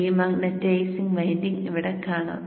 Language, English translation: Malayalam, And you see here the demagnitizing winding